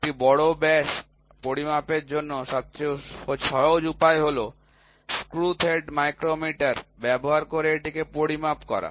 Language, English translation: Bengali, The simplest way of measuring a major diameter is to measure it using a screw thread micrometer